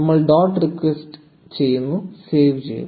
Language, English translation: Malayalam, So we add dot text, save